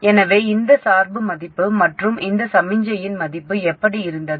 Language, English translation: Tamil, So how did we have this value of bias and this value of signal